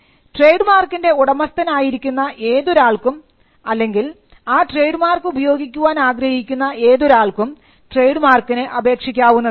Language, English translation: Malayalam, Any person claiming to be the proprietor of a trademark, who uses the mark or propose to use it can apply for a trademark